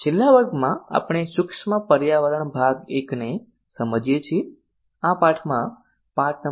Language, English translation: Gujarati, in the last class we saw understanding the micro environment part I in this lesson number 8